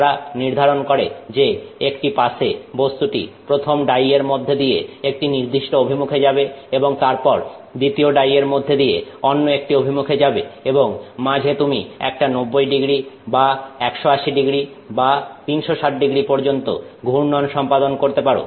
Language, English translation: Bengali, They define that you know in a single pass the material goes through the first die in a certain orientation and then goes through the second die in a certain other orientation and in the middle you may have a rotation of say 90 degrees or 180 degrees or even 360 degree rotation